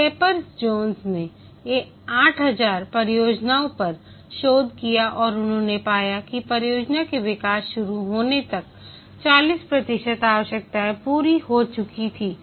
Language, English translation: Hindi, Capers zones researched on 800, 8,000 projects and he found that 40% of the requirements were arrived when the development had already begun